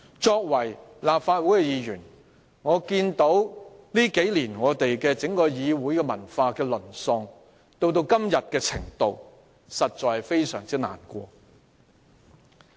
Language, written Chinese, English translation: Cantonese, 身為立法會議員，我眼見議會文化在數年間淪落至今天的地步，實在感到非常難過。, I am really overcome with emotions by such a situation . As a Member of the Legislative Council I am really sorry to see the degradation of the parliamentary culture to the current state in a few years time